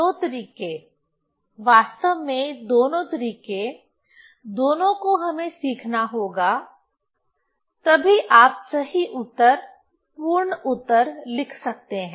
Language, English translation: Hindi, So, two ways actually both, both we have to learn then only you can write correct answer, complete answer